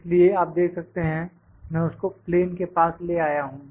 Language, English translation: Hindi, So, you can see I have just brought it close to the plane